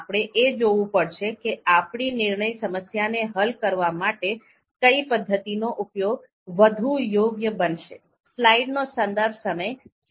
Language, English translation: Gujarati, So we have to based on that, we have to see which one which methods are going to be more suitable to solve our decision problems